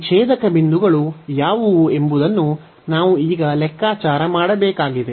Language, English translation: Kannada, So, on this we need to compute now what is this intersection points